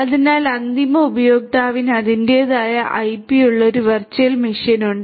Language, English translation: Malayalam, So, the end user has it is own virtual machine which has it is own IP